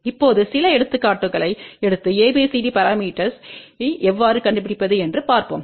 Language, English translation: Tamil, Now, let us just take some example and see how we can find out ABCD parameter